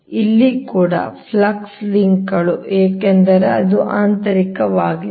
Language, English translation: Kannada, so here also flux linkages because it is internal